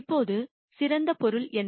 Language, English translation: Tamil, Now, what does best mean